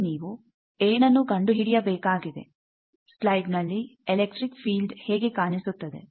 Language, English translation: Kannada, What that you need to find out how the electric field look like in this slide